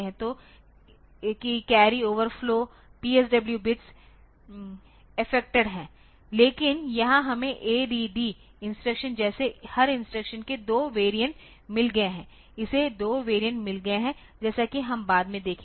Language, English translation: Hindi, So, that carry over flows that P s w bits are effected, but here we have got 2 variants of every instruction like ADD instruction, it has got 2 variant as we will see later